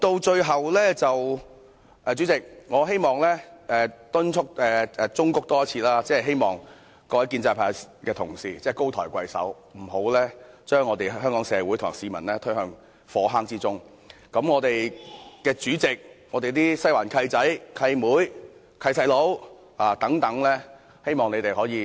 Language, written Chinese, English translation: Cantonese, 最後，代理主席，我再次忠告各位建制派同事高抬貴手，不要將香港社會和市民推向火坑之中，希望我們的主席、"西環"的"契仔"、"契妹"、"契弟"等能為市民着想一下。, Finally Deputy President I would like to sincerely advise colleagues of the pro - establishment camp once again that they should not go too far and plunge Hong Kong society and our people into an abyss of misery . I hope our President and the godchildren god daughters and god brothers of the Western District can work for the benefits of Hong Kong people